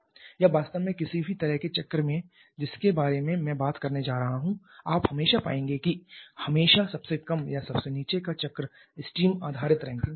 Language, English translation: Hindi, Or actually in any kind of cycle that I am going to talk about in always you will find or invariably the lowest or the bottom most cycle is a steam based Rankine cycle